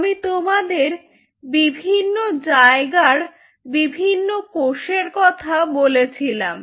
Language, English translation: Bengali, so, different cells at different places